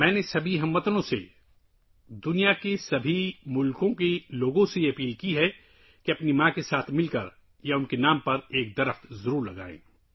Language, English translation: Urdu, I have appealed to all the countrymen; people of all the countries of the world to plant a tree along with their mothers, or in their name